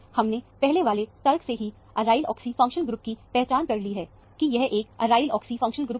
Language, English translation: Hindi, We have already identified an aryl oxy functional group from the earlier argument, that this is a aryl oxy functional group